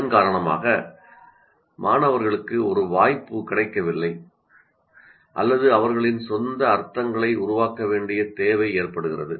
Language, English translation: Tamil, So, because of that, the students do not get a chance or need to create their own meanings